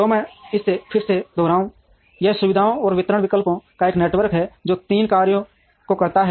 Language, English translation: Hindi, So, let me repeat it again, it is a network of facilities and distribution options that performs three tasks